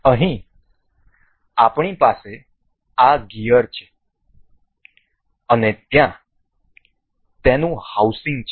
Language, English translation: Gujarati, Here we have we have this gear and there it its housing